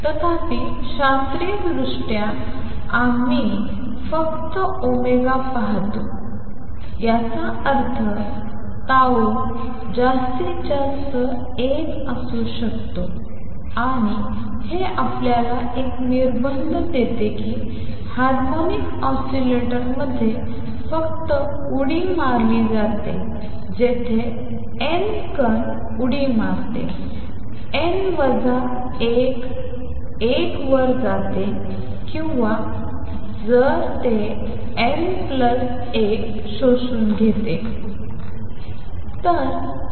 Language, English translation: Marathi, However, classically we see only omega this implies tau at max can be one and this gives you a restriction that in a harmonic oscillator the only jumps that takes place are where n goes the particle makes the jump n goes to n minus 1 or if it absorbs n plus 1